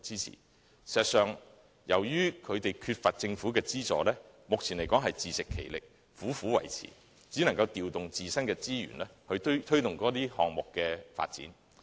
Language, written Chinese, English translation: Cantonese, 事實上，由於有關團體缺乏政府的資助，目前只能自食其力，苦苦維持，調動自身的資源，以推動該等項目的發展。, In fact owing to a lack of government assistance the relevant bodies can only work very hard by deploying their own resources in order to stay afloat for promotion of the development of their sports